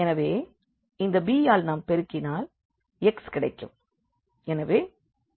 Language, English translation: Tamil, So, we multiplied by this b and then we will get the x